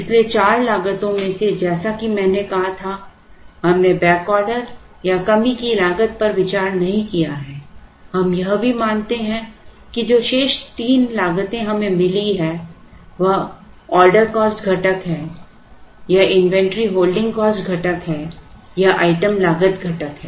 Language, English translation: Hindi, So, out of the four costs as I said we did not consider the back order or shortage cost we also observe that the three remaining costs that we have got this is the order cost component this is the inventory holding cost component